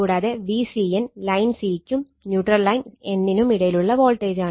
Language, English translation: Malayalam, Now, so V a n voltage between line a and neutral line n right neutral line n, this I told you